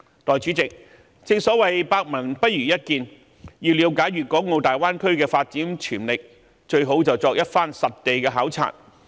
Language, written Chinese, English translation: Cantonese, 代理主席，正所謂百聞不如一見，要了解粵港澳大灣區的發展潛力，最好便是作一番實地考察。, Deputy President seeing is believing . The best way to understand the development potential of the Greater Bay Area is to make a site visit